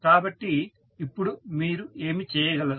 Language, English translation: Telugu, So, now what you can do